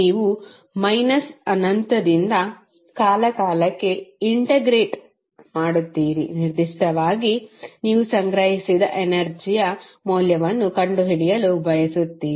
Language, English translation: Kannada, You integrate from minus infinity to time say t, at particular instant where you want to find out the value of energy stored